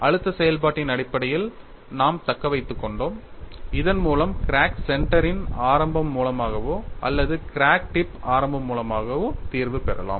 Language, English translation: Tamil, We retained in terms of stress function so that we could get the solution with crack center as the origin or crack tip as the origin